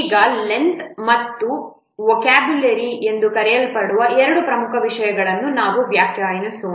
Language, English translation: Kannada, Now let's define two other things, important things called as length and vocabulary